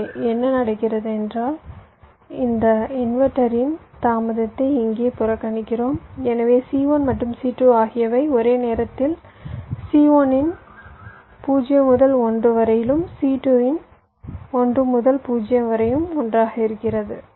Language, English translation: Tamil, this is a scenario where here i am ignoring the delay of this inverter, so i am assuming c one and c two are getting activated almost simultaneously, zero to one of c one and one to zero of c two are happing together